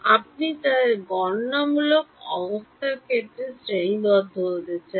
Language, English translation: Bengali, You want to classify them in terms of computational resources